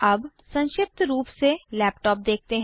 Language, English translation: Hindi, Now, let us briefly look at a laptop